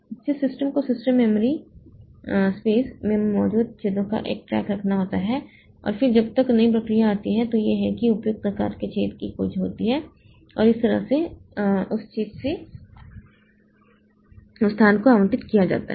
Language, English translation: Hindi, So, system has to keep track of the holes that are there in the system memory space and then when a new process comes so it is it searches for the appropriate sized hole and that way it is allocated the space from that hole